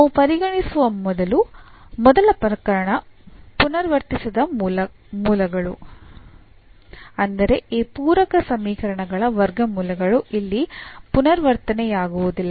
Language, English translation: Kannada, So, first case we will consider here for non repeated roots; that means, the roots of this auxiliary equations root of this equation here are non repeated